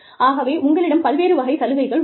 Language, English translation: Tamil, So, you have various types of benefits